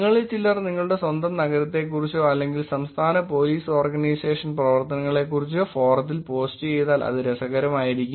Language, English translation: Malayalam, It will be interesting if some of you actually post about your own city or state police organization activities on the forum